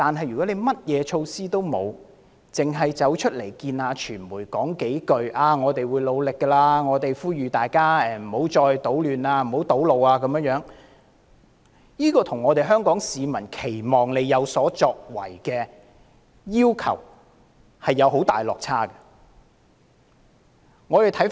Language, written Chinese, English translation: Cantonese, 如果甚麼措施也欠奉，光對着傳媒說會繼續努力，並呼籲大家不要搗亂和堵路，這未免與香港市民期望她有所作為的要求出現極大落差。, If nothing is done and a statement is only issued to the media claiming that she would continue to do her best and urging for an end to all actions to create disorder and block roads I can only say that this approach has fallen far short of public expectation because Hong Kong people are looking forward to some tangible actions